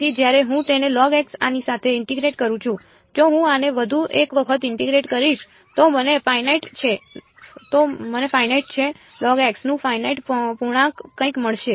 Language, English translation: Gujarati, So, when I integrate it with this once I got log x if I integrate this once more I will get something finite integral of log x is finite